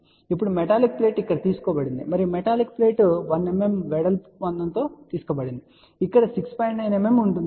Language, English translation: Telugu, So, now metallic plate is taken here another metallic plate is taken thickness of 1 mm width is given over here which is about 6